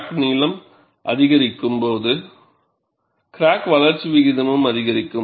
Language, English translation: Tamil, So, as the crack length increases, the stress intensity factor decreases